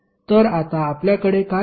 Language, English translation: Marathi, So what you have got now